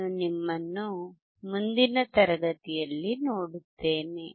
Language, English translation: Kannada, I will see you in the next class